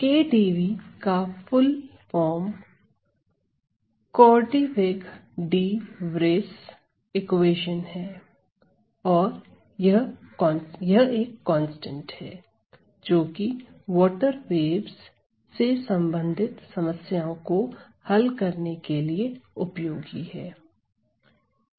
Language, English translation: Hindi, Now, KdV stands for the full form Korteweg de Vries equation and this is constant, very commonly used for solving problems related to water waves